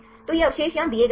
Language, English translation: Hindi, So, these residues are given here